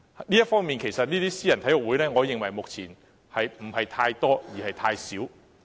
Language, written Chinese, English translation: Cantonese, 就這方面，其實我認為私人體育會目前不是太多，而是太少。, In this regard I actually think that there are too few rather than too many private sports clubs